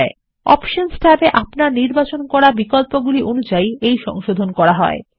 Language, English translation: Bengali, The corrections are made according to the options you have selected in the Options tab.